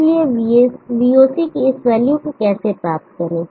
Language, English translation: Hindi, Therefore, how to get this value of VOC